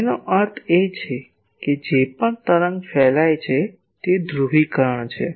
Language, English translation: Gujarati, That means whatever wave it is radiating, the polarisation is for that